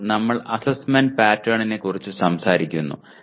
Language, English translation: Malayalam, Now we talk about assessment pattern